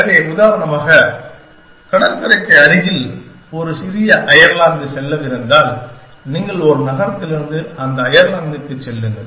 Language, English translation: Tamil, So, for example, if there is a small Ireland near the coastline, to go you go to that Ireland